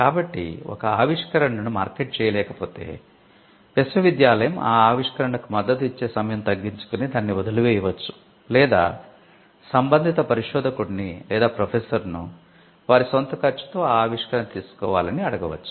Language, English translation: Telugu, So, if an invention has not been marketed there is a time period until which the university will support the invention and beyond that the university may abandon it or it would ask the concerned researcher or the processor to take the invention at their own cost